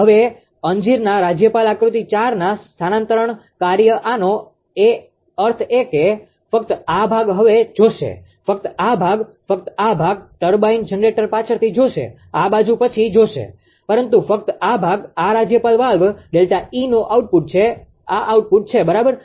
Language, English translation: Gujarati, Now, the transfer function of the fig governor figure 4; that means, only only these portion will see now, only this portion, only this portion, turbine generator will see later this side will see later, but only this portion, this is the output of the governor valve delta capital E, this is the output right